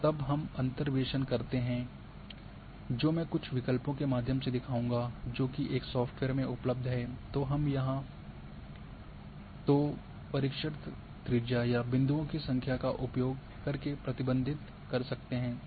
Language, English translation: Hindi, If then we go for interpolation which I will show certain through the options which are available in one particular software there we can restrict either using a search radius or number of points